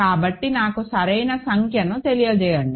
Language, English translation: Telugu, So, let me get the number right